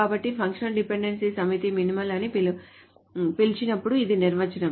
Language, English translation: Telugu, So this is the definition of when a set of functional dependencies is called minimal